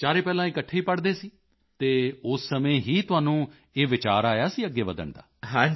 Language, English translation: Punjabi, And all four used to study together earlier and from that you got an idea to move forward